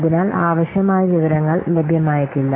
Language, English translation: Malayalam, So the necessary information may not be available